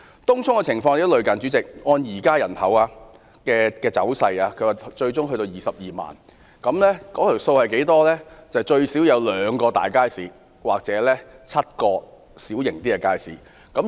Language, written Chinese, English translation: Cantonese, 東涌的情況亦很相似，該區人口最終會增至22萬，故需要最少2個大型街市或7個小型街市。, The population of the district will eventually increase to 220 000 . Therefore at least two large markets or seven small markets are required